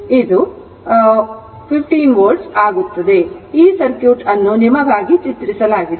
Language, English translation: Kannada, So, this circuit is drawn for you